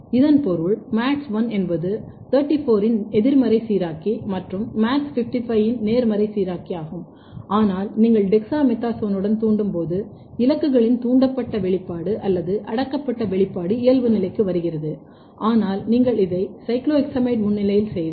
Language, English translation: Tamil, So, when MADS1 is down regulated 34 is induced, 55 is down let us take the example which means that MADS1 is negative regulator of 34 and positive regulator of MADS55, but when you induce with dexamethasone, the induced expression or repressed expression of the targets are coming back to the normal, but if you do this in presence of cyclohexamide